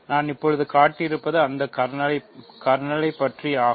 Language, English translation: Tamil, So, what we have just shown is that kernel